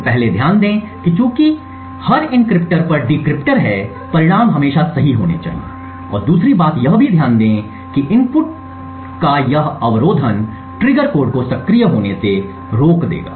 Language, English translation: Hindi, So, note first that since or every encryptor there is also a decryptor at the output the results should always be correct and secondly also note that this obfuscation of the inputs would prevent the cheat code from activating the trigger